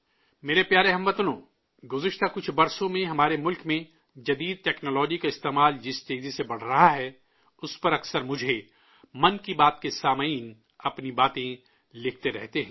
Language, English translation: Urdu, in the last few years, the pace at which the use of modern technology has increased in our country, the listeners of 'Mann Ki Baat' often keep writing to me about it